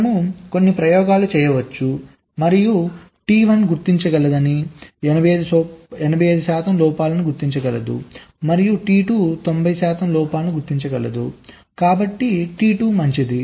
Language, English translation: Telugu, you can do some experiment and see that t one can detect, let say, eighty five percent of the faults and t two can detect ninety percent of the faults, so t two will be better